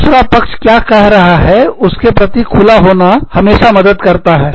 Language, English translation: Hindi, It always helps to be, open to what, the other party is saying